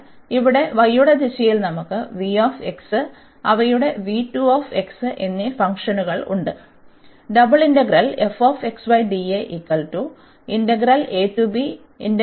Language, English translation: Malayalam, But, in this direction here in the direction of y we have the functions v 1 x and their v 2 x